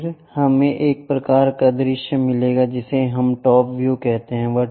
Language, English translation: Hindi, Then, we will get one kind of view, that is what we call top view